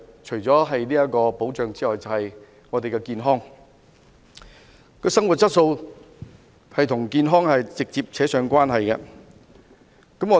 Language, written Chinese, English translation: Cantonese, 除了保障之外，就是健康，生活質素與健康直接相關。, Apart from protection it is health . The quality of life is directly related to health